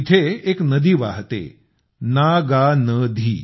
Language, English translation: Marathi, A river named Naagnadi flows there